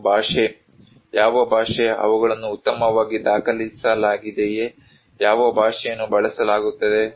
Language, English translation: Kannada, And language; What language, are they well documented, what language is used